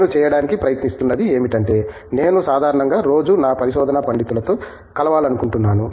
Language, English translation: Telugu, What I try to do is, I usually would like to meet with my research scholars on a daily basis